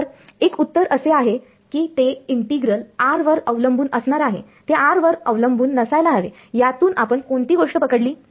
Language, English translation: Marathi, So, one answer is that it will be the integral will be r dependent it should not be r dependent what is the catch